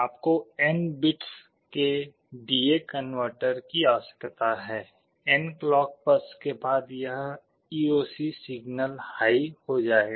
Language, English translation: Hindi, You need a D/A converter of n bits, after n clock pulses this EOC signal will be made high